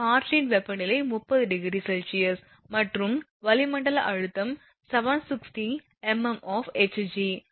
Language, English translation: Tamil, The air temperature is 30 degree celsius and the atmospheric pressure is 760 millimeter of mercury the irregularly factor is 0